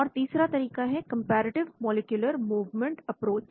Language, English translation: Hindi, The third approach is called comparative molecular movement approach